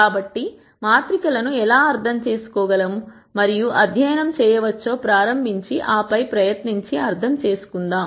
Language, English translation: Telugu, So, let us start and then try and understand how we can understand and study matrices